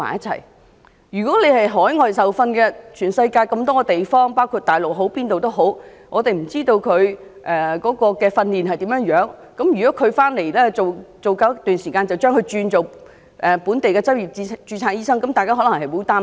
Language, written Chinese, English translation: Cantonese, 對於海外受訓的醫生，全世界各地包括大陸，我們也不知道他們如何訓練，假如讓他們在港工作一段時間後，便可轉為本地的執業註冊醫生，這樣大家可能會很擔心。, As for overseas trained doctors we do not know how other places in the world including Mainland China train their doctors . If they are allowed to work in Hong Kong for a period of time they may become local registered medical practitioners and people are concerned about this